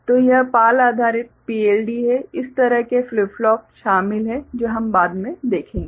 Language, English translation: Hindi, So, that is PAL based PLD with this kind of you know flip flops involved which we shall see later